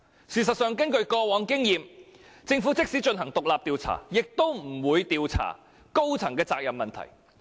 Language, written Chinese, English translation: Cantonese, 事實上，根據過往經驗，政府即使進行獨立調查，也不會調查高層的責任問題。, In fact past experience showed that even if the Government launched an independent inquiry it would not look into the issue of accountability of senior officers